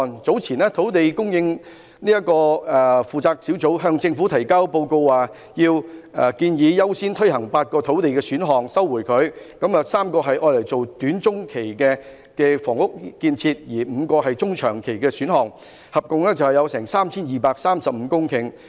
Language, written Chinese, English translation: Cantonese, 早前，土地供應專責小組在向政府提交的報告中，建議優先推行8個土地選項，當中3個用作短中期房屋建設，另外5個是中長期選項，合共會有 3,235 公頃土地。, Some time ago in the report submitted to the Government the Task Force on Land Supply Task Force recommends the implementation of eight land supply options . Three of the options will be for housing construction in the short - to - medium term and the other five options will be for medium to long term adding to a total of 3 235 hectares of land